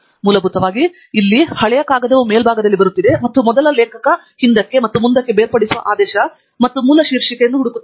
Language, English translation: Kannada, basically, we're the oldest paper will be coming on the top, and the first author says: you've both backwards and forwards sorting order, as well as the source title